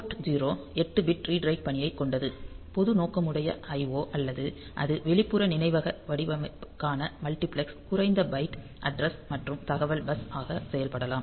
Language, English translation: Tamil, So, this port 0 is 8 bit read write operation; so, for general purpose I O or it can act as multiplexed low byte address and data bus for the external memory design